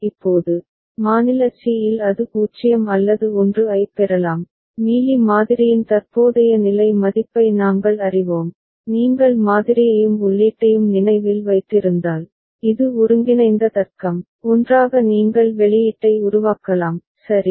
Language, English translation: Tamil, Now, at state c it can receive 0 or 1 and we know in Mealy model current state value, if you remember the model and the input and this is the combinatorial logic, together you can generate the output, right